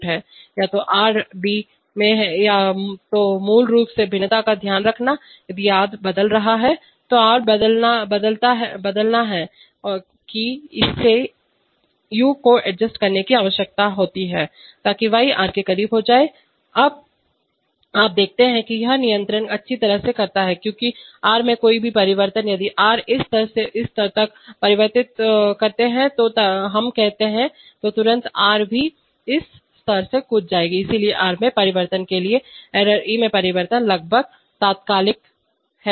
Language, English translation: Hindi, To either take care of to, to, if, to take care of basically variations in either r or d so if r is changing that it needs to adjust u, so that y becomes close to r, now you see that, this controller does well because any change in r, if r changes from this level to this level let us say, then immediately the error will also jump from this level to this level, so the change in error e is almost instantaneous corresponding to the change in r